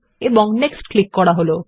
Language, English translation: Bengali, And click on the Next button